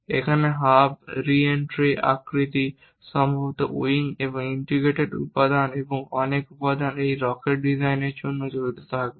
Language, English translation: Bengali, Here the hub, the re entry shape, perhaps the wing, and the integrated components and many components will be involved to design this rocket